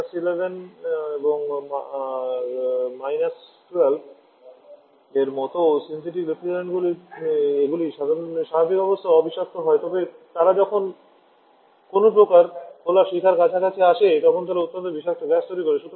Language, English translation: Bengali, Synthetic refrigerants like our R11 R12 they are non toxic under normal condition, but when they come in close to some kind open flame they produces highly toxic gases